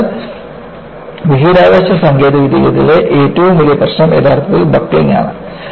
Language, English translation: Malayalam, So, one of the greatest problem in Space Technology is actually buckling